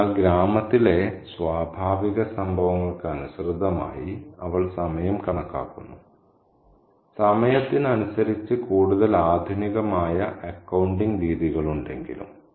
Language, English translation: Malayalam, So, she calculates time according to natural happenings in the village, even though there are other more modern ways of accounting for time, the passage of time